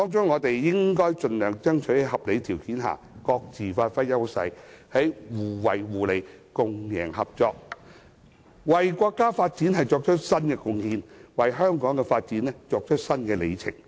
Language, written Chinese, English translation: Cantonese, 我們應盡量爭取在合理條件下，各自發揮優勢；在互惠互利、共贏合作下，為國家發展作出新貢獻，為香港的發展締造新里程。, We should strive to give play to our respective advantages as far as circumstances can reasonably permit . We should seek new contributions to the countrys progress and a new milestone for Hong Kongs development